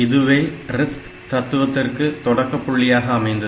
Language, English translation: Tamil, So, this RISC philosophy came from that point